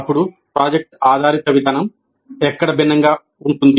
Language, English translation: Telugu, Then where does project based approach differ